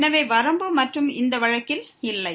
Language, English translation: Tamil, So, limit and does not exist in this case